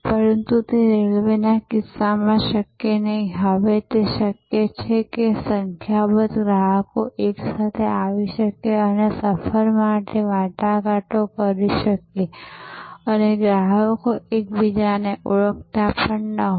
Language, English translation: Gujarati, But, it is possible now for number of customers can come together and negotiate for a trip and these customers may not even have known each other